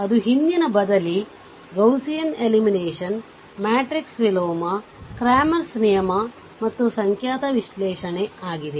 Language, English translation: Kannada, That is your back substitution ah, Gaussian elimination, matrix inversion, cramers rule and numerical analysis